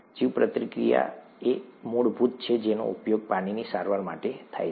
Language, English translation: Gujarati, Bioreactors are the basal ones that are used for water treatment